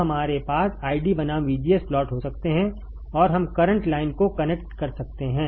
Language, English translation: Hindi, So, we can have ID versus VGS plot and we can connect the current line